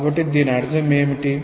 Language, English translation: Telugu, So, what this will mean